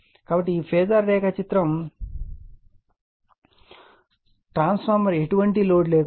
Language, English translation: Telugu, So, so this is this phasor diagram the transfer on no load